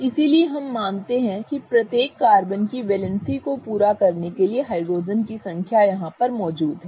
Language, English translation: Hindi, So, we assume that the number of hydrogens are present in order to fulfill the valency of each carbon